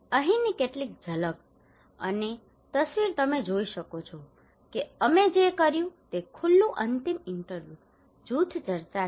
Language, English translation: Gujarati, Here is some of the glimpse and picture you can see that we what we conducted open ended interview, group discussions